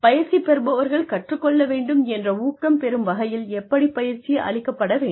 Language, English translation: Tamil, How can training be delivered so, that trainees are motivated to learn